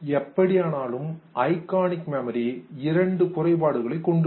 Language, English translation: Tamil, However, our iconic memory has two limitations